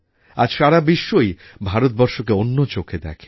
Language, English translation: Bengali, Today the whole world has changed the way it looks at India